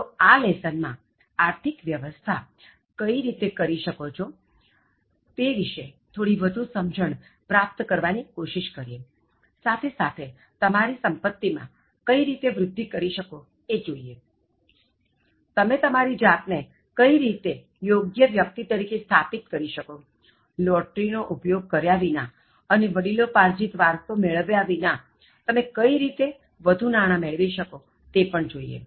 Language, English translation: Gujarati, So in this lesson, let us try to gain some more insights about how you can manage money, but at the same time how you can build your wealth, okay, how you can establish yourself as a person and then how you can make yourself build the wealth, instead of believing in some lottery or inheriting some wealth from your parents or ancestors